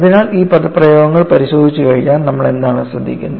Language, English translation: Malayalam, So, once you look at these expressions what do you notice